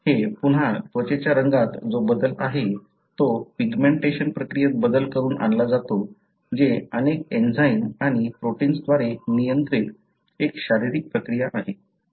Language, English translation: Marathi, This again, the change in the, skin colour is brought about by change in the pigmentation process which is a physiological process regulated by multiple enzymes and proteins